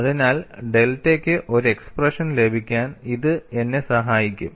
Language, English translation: Malayalam, So, this will help me to get an expression for delta